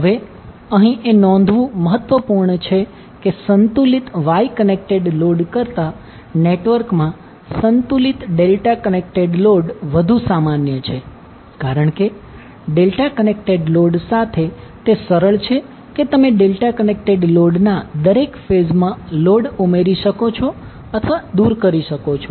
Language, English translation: Gujarati, Now it is important to note here that the balanced delta connected load is more common in the network than the balanced Y connected load, because it is easy with the delta connected load that you can add or remove the load from each phase of the delta connected load